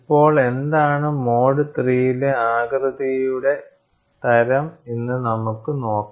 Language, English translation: Malayalam, Now, we will go and see, what is the type of shape in mode 3